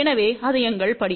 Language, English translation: Tamil, So, that is our step